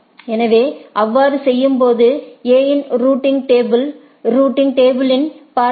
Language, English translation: Tamil, So, in doing so, if we see the routing table of A’s routing table